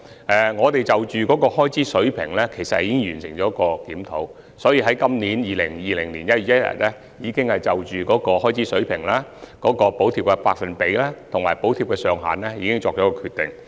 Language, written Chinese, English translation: Cantonese, 不過，就開支水平而言，我們已完成檢討，並在本年1月1日起就開支水平、補貼百分比及補貼額上限作出決定。, But on the issue of expenditure level we have completed the relevant review and we have made a decision on the expenditure level the subsidy rate and the subsidy ceiling which took effect from 1 January of this year 2020